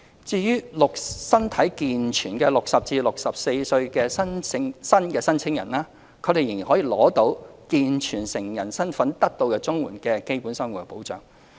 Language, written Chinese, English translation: Cantonese, 至於身體健全的60至64歲新申請人，他們仍會以健全成人的身份得到綜援的"基本生活保障"。, As for new able - bodied applicants aged between 60 and 64 they will be granted the basic living protection as able - bodied adults under CSSA